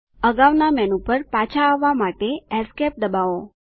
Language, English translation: Gujarati, Let us now press Esc to return to the previous menu